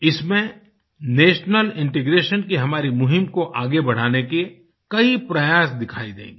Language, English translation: Hindi, This website displays our many efforts made to advance our campaign of national integration